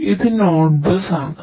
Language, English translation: Malayalam, And this is the node bus